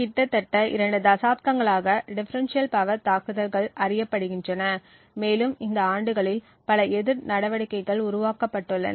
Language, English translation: Tamil, So differential power attacks have been known for almost two decades now and there have been several counter measures that have been developed over these years